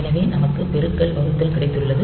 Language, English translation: Tamil, You see it is a multiplication by 2